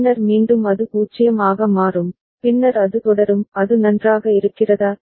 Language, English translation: Tamil, Then again it will be become 0 and then it will continue is it fine